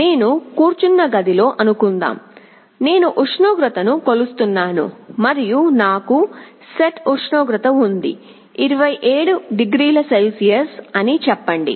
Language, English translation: Telugu, Suppose in a room where I am sitting, I am measuring the temperature and I have a set temperature, let us say 27 degree Celsius